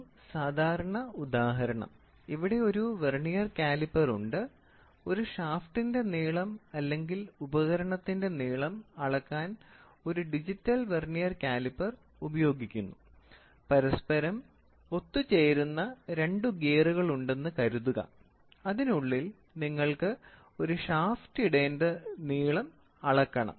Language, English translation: Malayalam, A typical example; here is a vernier caliper which is used, digital vernier caliper is used to measure the length of may be a shaft or the length of or tool; assuming there are 2 gears which are butted with each other and you have to measure the length such that you have to put a shaft inside it